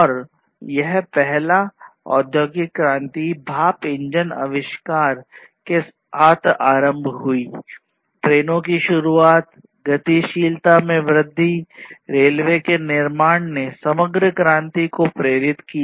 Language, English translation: Hindi, And this first industrial revolution was started with the invention of steam engine, trains introduction of trains, mobility increased, construction of railways basically stimulated the overall revolution